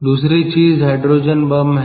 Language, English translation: Hindi, the other thing is the hydrogen bomb